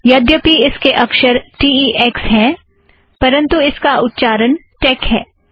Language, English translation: Hindi, Although it has the spelling t e x, it is pronounced tec